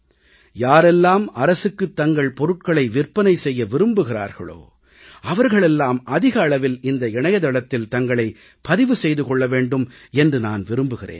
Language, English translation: Tamil, I would certainly like that whoever wishes to sell their products or business items to the government, should increasingly get connected with this website